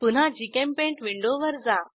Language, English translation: Marathi, Let us switch to GChemPaint window again